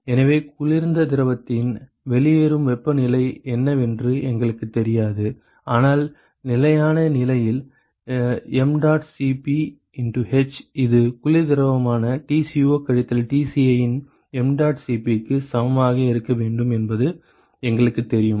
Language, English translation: Tamil, So, we do not know what is the outlet temperature of the cold fluid, but we know h at steady state this should be equal to mdot Cp of cold fluid Tco minus Tci